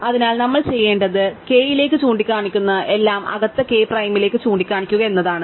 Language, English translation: Malayalam, So, what we need do is, we need do set everything that is pointing to k to point to k prime inside